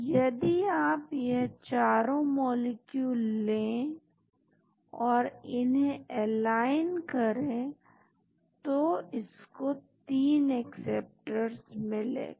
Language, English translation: Hindi, So, if you take all the 4 molecules and align them it has found 3 acceptors